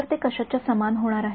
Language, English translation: Marathi, So, what is that going to be equal to